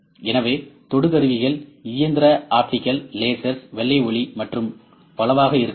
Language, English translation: Tamil, So, probes may be mechanical, optical, laser, white light and many such